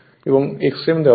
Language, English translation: Bengali, X m is given right